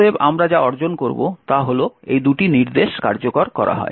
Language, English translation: Bengali, Therefore, what we would achieve is that these two instructions are executed